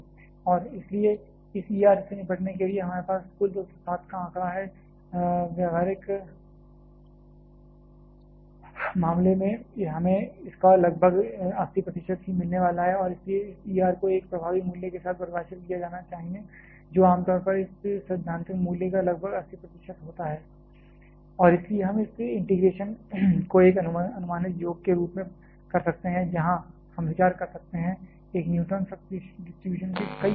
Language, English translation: Hindi, And, hence while we had a total figure of 207 to deal with for this E R, practical case we are going to get only about 80 percent of that and hence this E R must be substituted with an effective value of that which come generally is about 80 percent of this theoretical value and hence we can perform this integration as an approximate summation where we are considering say j multiple groups of a neutron flux